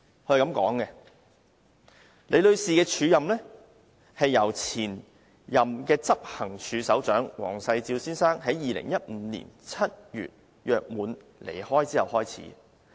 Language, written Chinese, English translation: Cantonese, 他說李女士的署任期是由前任執行處首長黃世照先生於2015年7月約滿離開後開始。, He said that the acting period for Ms LI began when the former Head of Operations Mr Ryan WONG left upon completion of contract on July 2015